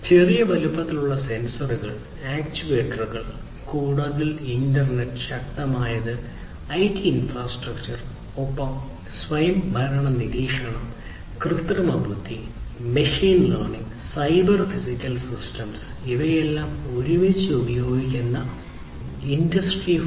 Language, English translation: Malayalam, So, small sized, sensors, actuators, much more powerful internet and IT infrastructure everything together, connecting them together and autonomous monitoring, use of technologies such as artificial intelligence, machine learning, cyber physical systems, use of all of these together is basically how this transformation is happening in Industry 4